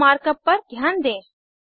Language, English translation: Hindi, Notice the mark up here